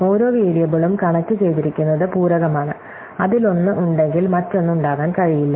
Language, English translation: Malayalam, So, every variable is connected to is compliment to indicate that if one is there, the other cannot be there